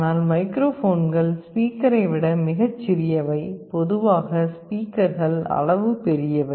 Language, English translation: Tamil, But, microphones are much smaller than a speaker, typically speakers are large in size